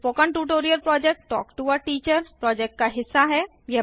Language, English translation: Hindi, Spoken Tutorial Project is a part of Talk to a Teacher project